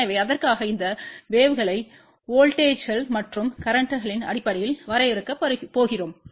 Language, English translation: Tamil, So, for that we are going to define these waves in terms of voltages and currents